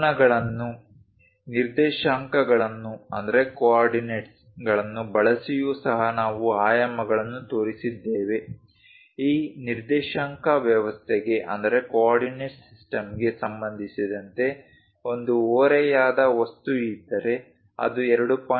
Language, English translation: Kannada, Using angles, coordinates also we have shown the dimensions, something like if there is an inclined object with respect to coordinate system this one 2